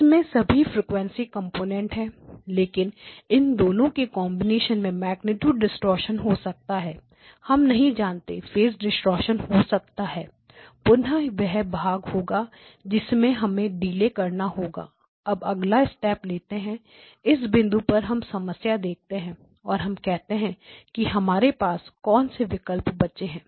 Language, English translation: Hindi, So, it has all of the frequency components but the combination of these 2 may have magnitude distortion, we do not know, may have phase distortion, again that is the part that we would have to we would have to deal with, now we have to take the next step so at this point we look at the problem and we say okay what are the options that are left to us